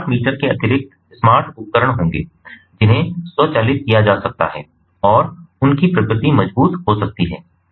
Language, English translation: Hindi, smart l appliances in addition to this, smart meters, smart appliances will be there which can be automated and they can be ah ah robust in nature